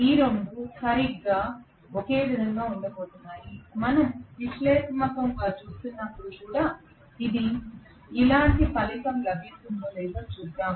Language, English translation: Telugu, Both of them are going to be exactly one and the same right, let us try to see whether we get a similar result even when we are doing it analytically